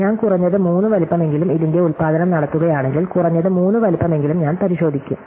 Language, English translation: Malayalam, So, if I at least size 3 and this produce of this, I will verify it at least size 3